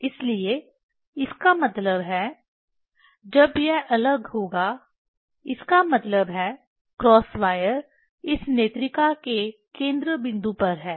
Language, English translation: Hindi, So; that means, when it will be distinct; that means, the cross wire is at the focal point of this eyepiece